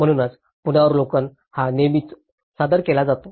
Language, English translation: Marathi, So, this is how the review is always presented